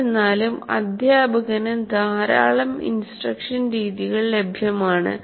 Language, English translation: Malayalam, But a large number of instruction methods is available